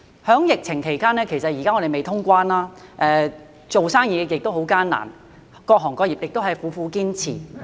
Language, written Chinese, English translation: Cantonese, 在疫情期間，現時還未通關，做生意也很艱難，各行各業亦苦苦堅持。, During the epidemic when resumption of cross - boundary travel is still pending and the business environment is very difficult various trades and industries are struggling hard